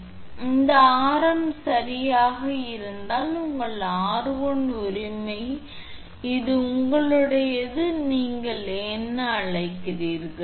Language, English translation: Tamil, So, this radius is given suppose if it is r right and this is your r1 right and this is your what you call